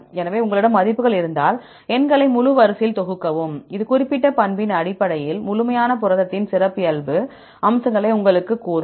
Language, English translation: Tamil, So, if you have the values then sum up the numbers in a full sequence, that will tell you the characteristic features of the complete protein, based on the particular property